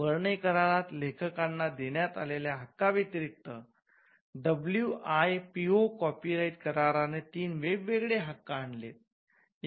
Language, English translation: Marathi, Apart from the rights granted to authors which were recognised by the Berne convention, the WIPO copyright treaty also introduced three different sets of rights